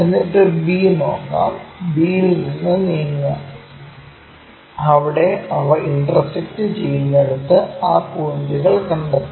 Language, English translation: Malayalam, Then move from b, move from b, where they are intersecting locate those points, this one, this one